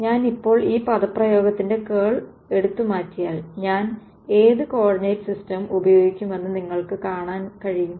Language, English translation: Malayalam, So, if I now go to take the curl of this expression, you can sort of see what coordinate system will I use